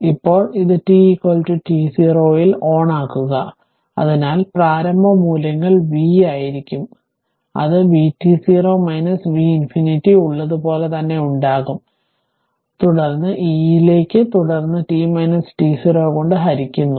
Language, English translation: Malayalam, Now, switch this on at t is equal to t 0, therefore initial values will be v, it is v t 0 minus v infinity will be there as it is, it is there as it is, then e to the power minus then t minus t 0 divided by tau